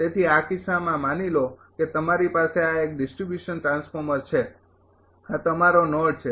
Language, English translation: Gujarati, So, in this case suppose you have this is a distribution transformer is a this is your node